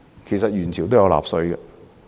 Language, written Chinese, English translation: Cantonese, 其實元朝都有納稅。, Actually people in Yuan Dynasty also needed to pay tax